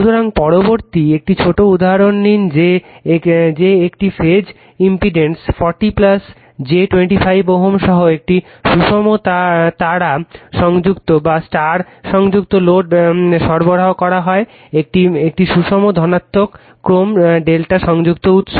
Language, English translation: Bengali, So, next you take one small example that a balanced star connected load with a phase impedance 40 plus j 25 ohm is supplied by a balanced, positive sequence delta connected source